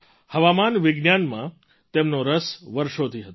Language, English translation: Gujarati, For years he had interest in meteorology